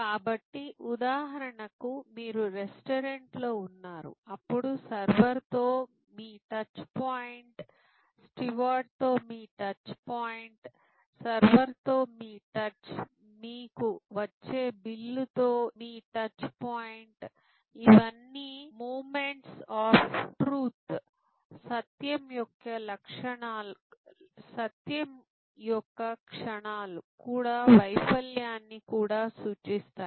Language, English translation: Telugu, So, we discuss with example that for example, you are in a restaurant then your touch point with server, your touch point with the steward, your touch with the server, your touch point with the bill that comes to you, these are all moments of truth, the moments of truth are also points of failure